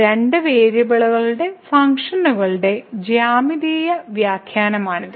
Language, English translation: Malayalam, So, this is the interpretation the geometrical interpretation of the functions of two variables